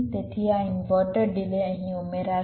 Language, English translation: Gujarati, so this inverter delay will get added here